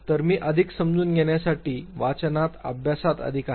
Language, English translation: Marathi, So, I am more into understanding, more into reading, studying